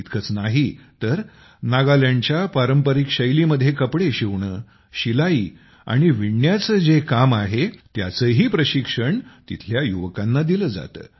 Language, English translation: Marathi, Not only this, the youth are also trained in the traditional Nagaland style of apparel making, tailoring and weaving